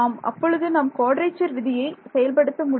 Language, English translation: Tamil, So you can think of applying quadrature rule over here